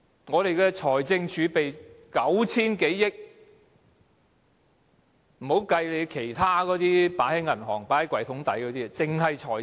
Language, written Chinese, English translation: Cantonese, 我們的財政儲備有 9,000 多億元，還未計算其他放在銀行、抽屉底的錢。, We have more than 900 billion in fiscal reserve which does not include the money deposited with banks and hidden in drawers